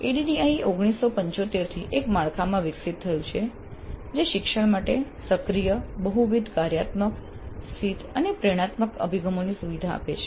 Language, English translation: Gujarati, ADE has evolved since 1975 into a framework that facilitates active, multifunctional situated and inspirational approaches to learning